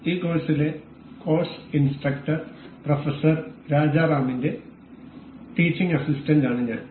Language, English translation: Malayalam, I am the teaching assistant to the course instructor Professor Rajaram in this course